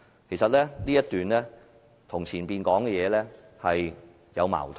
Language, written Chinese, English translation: Cantonese, 其實，這一段與前文所述頻有矛盾。, In fact this paragraph contradicts the texts above